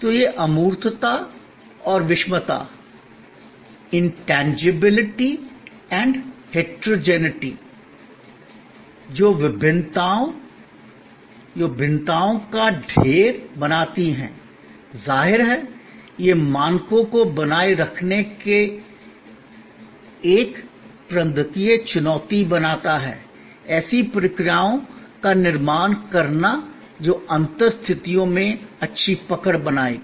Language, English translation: Hindi, So, this intangibility and heterogeneity, which creates a plethora of variances; obviously, it creates a managerial challenge of maintaining standards, of creating processes that will hold good under difference situations